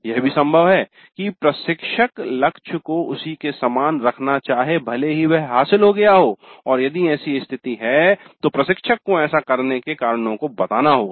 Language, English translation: Hindi, It is also possible that the instructor may wish to keep the target as the same even when it is achieved and if that is the case the instructor has to state the reasons for doing so